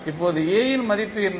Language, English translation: Tamil, Now, what is the value of A